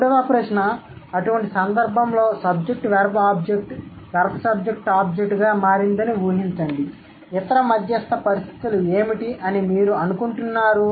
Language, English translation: Telugu, Third question, imagine that SVO has morphed into VSO in such case, what do you think, what are the other mediary or intermediate conditions